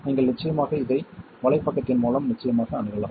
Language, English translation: Tamil, And you can of course access this on the course web page